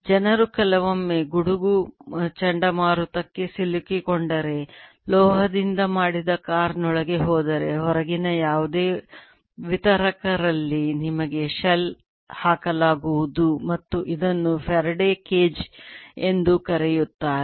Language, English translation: Kannada, people also say sometimes when, if, if you are caught on a thunder storm, go inside a car which is made of metal, then you will be shelled it in any distributors outside and this is also known as faraday's cage